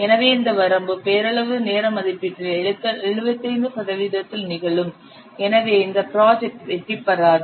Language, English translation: Tamil, So this limit it will occur at 75% of the nominal time estimate beyond this if you will schedule